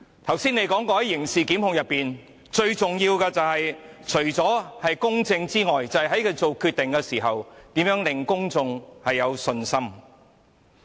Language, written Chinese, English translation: Cantonese, 她剛才表示，在刑事檢控中，最重要的是公正，以及律政司司長在作出決定時能令公眾有信心。, As she said just now in criminal prosecutions it is crucial for fairness to be done and for the Secretary for Justice to maintain public confidence in his or her decisions